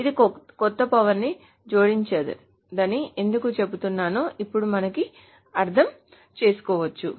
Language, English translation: Telugu, So now we can understand why I have been saying that this doesn't add any new power